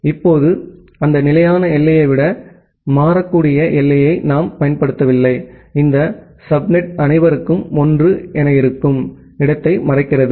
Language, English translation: Tamil, Now, we are not using those fixed boundary rather a variable boundary in that variable boundary this subnet mask the where we have all 1’s